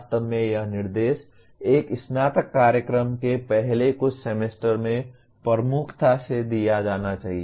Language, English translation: Hindi, In fact this instruction should be given dominantly in the first few semesters of a undergraduate program